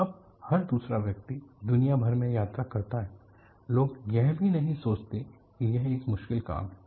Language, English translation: Hindi, Now, every other person travels across the globe; people do not even think that it is a difficult task